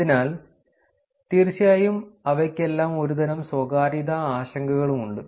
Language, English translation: Malayalam, So, of course, all of them have some sort of privacy concerns too